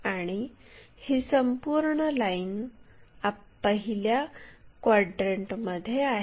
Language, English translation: Marathi, And, this entire line is in the 1st quadrant